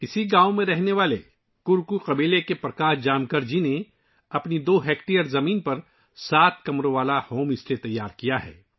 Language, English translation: Urdu, Prakash Jamkar ji of Korku tribe living in the same village has built a sevenroom home stay on his two hectare land